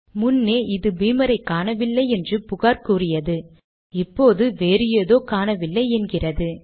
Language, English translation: Tamil, Previously we got the complaint that Beamer was not found now it says that something else is not available